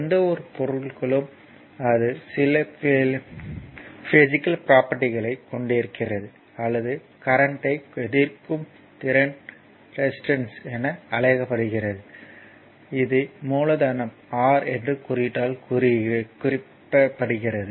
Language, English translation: Tamil, So, that for any material, right it has some physical property or ability to resist current is known as resistance and is represented by the symbol R, capital R these the symbol R